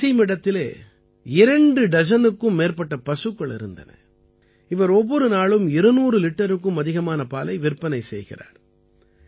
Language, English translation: Tamil, Wasim has more than two dozen animals and he sells more than two hundred liters of milk every day